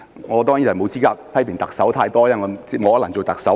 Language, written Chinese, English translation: Cantonese, 我當然沒有資格批評特首太多，因為我不可能做特首。, Of course I am not in a position to criticize the Chief Executive so much because it is impossible for me to be the Chief Executive